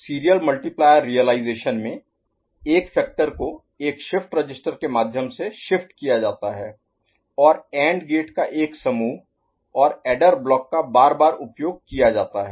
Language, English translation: Hindi, In serial multiplayer realization, one of the factors is shifted through a shift register and one bank of AND gates and the adder block is used successively